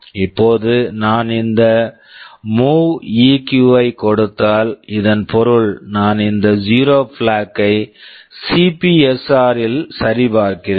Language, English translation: Tamil, Now if I give this MOVEQ, this means I am checking this zero flag in the CPSR